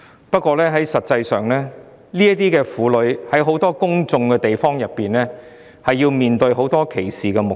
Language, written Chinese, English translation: Cantonese, 不過，實際上，這些婦女在很多公眾場所餵哺母乳時要面對很多歧視目光。, However in real - life situation these women have to put up with discriminatory stares when breastfeeding in public places